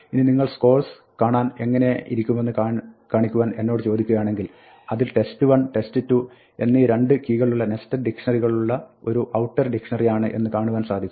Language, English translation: Malayalam, Now, if you ask me to show what scores looks like, we see that it has an outer dictionary with two keys test 1, test 2 each of which is a nested dictionary